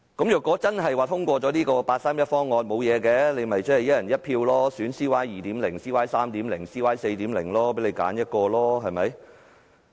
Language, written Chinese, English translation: Cantonese, 如果真的通過了八三一方案，現在便可以"一人一票"選 "CY 2.0" 或 "CY 3.0" 或 "CY 4.0"， 任君選擇。, If the 31 August constitutional reform package was really passed we should be able to choose from CY 2.0 or CY 3.0 or CY 4.0 by one person one vote